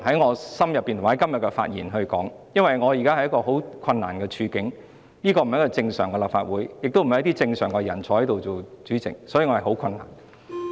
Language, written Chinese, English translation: Cantonese, 我現時身在一個十分困難的處境，立法會已非正常的立法會，也並非由正常人在此擔任主席，所以我感到很困難。, I am now caught in a very difficult position . The Legislative Council is no longer a normal legislature and its Presidency is not held by a normal person either . So I feel that things have become difficult for me